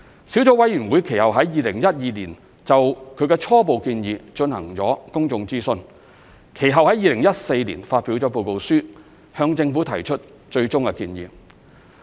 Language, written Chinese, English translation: Cantonese, 小組委員會其後於2012年就其初步建議進行公眾諮詢，其後於2014年發表報告書，向政府提出最終建議。, In 2012 the Sub - committee conducted a public consultation on its tentative recommendations and subsequently published a report in 2014 to submit its final recommendations to the Government